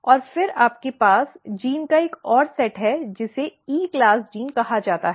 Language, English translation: Hindi, And then you have another set of genes which are called E class gene